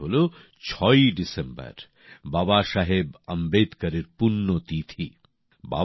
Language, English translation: Bengali, This day is the death anniversary of Babasaheb Ambedkar on 6th December